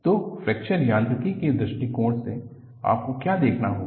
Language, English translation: Hindi, So, from Fracture Mechanics point of view, what you will have to look at